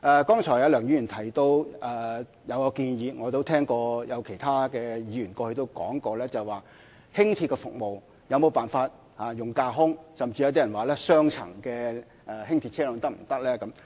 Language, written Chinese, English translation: Cantonese, 剛才梁議員提到一項建議，我亦聽到有其他議員曾問及，輕鐵的服務可否採用架空軌道，甚至有些人提出雙層輕鐵車輛是否可行。, Mr LEUNG has made a suggestion just now which was also the subject of enquiries by other Members ie . if it is possible to adopt elevated tracks for LR service; some proposals even suggested the feasibility of double - decked LRVs